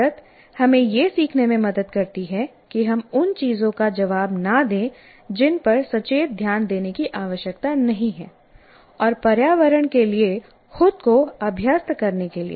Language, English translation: Hindi, Habituation helps us to learn not to respond to things that don't require conscious attention and to accustom ourselves to the environment